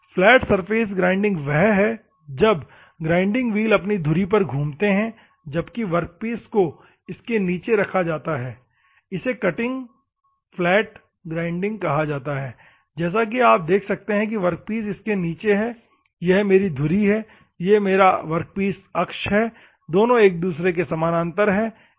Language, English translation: Hindi, Flat surface grinding that the wheels rotate about its own axis while the workpiece is fed beneath, it this is called the flat grinding as you can see the workpiece is beneath it for and this is my axis, and this is my workpiece axis, both are parallel to each other